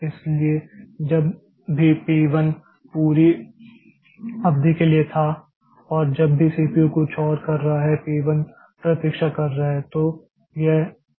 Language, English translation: Hindi, So, whenever, so P 1 was there for the entire duration and whenever the CPU is doing something else, P 1 is waiting